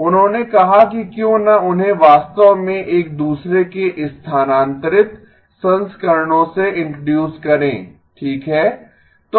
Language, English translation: Hindi, He said why not introduce them to be actually shifted versions of each other okay